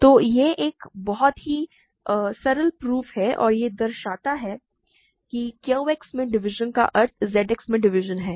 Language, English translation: Hindi, So, very simple proof right; so, this is a very simple proof and it shows that division in Q X implies division in Z X